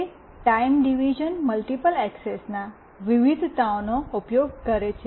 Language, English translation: Gujarati, It uses a variation of Time Division Multiple Access that is TDMA